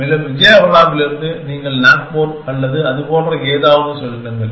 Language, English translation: Tamil, And from Vijayawada, you go Nagpur or something like that